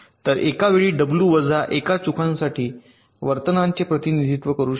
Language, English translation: Marathi, so at a time i can represent the behavior for w minus one faults